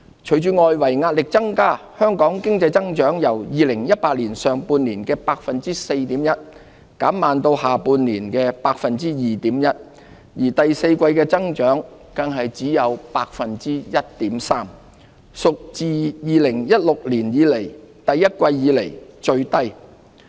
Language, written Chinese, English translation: Cantonese, 隨着外圍壓力增加，香港經濟增長由2018年上半年的 4.1%， 減慢至下半年的 2.1%， 而第四季的增幅更只有 1.3%， 屬2016年第一季以來最低。, Under mounting external pressures Hong Kongs economic growth moderated from 4.1 % in the first half of 2018 to 2.1 % in the second half of the year with growth for the fourth quarter at a mere 1.3 % the lowest since the first quarter of 2016